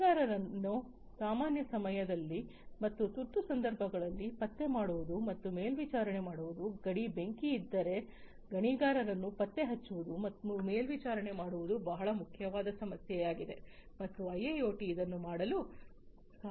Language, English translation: Kannada, Locating and monitoring the miners during normal times and during emergency situations let us say if there is a mine fire locating and monitoring the miners is a very important problem and IIoT can help in doing